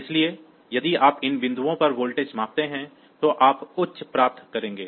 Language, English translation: Hindi, So, if you measure the voltage at these point, so you will get high